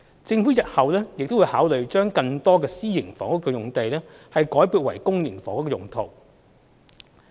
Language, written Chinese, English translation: Cantonese, 政府日後會考慮把更多私營房屋用地改撥為公營房屋用途。, The Government will consider in future converting more private housing sites for public housing development